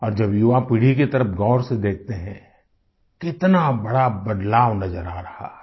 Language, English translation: Hindi, And when we cast a keen glance at the young generation, we notice a sweeping change there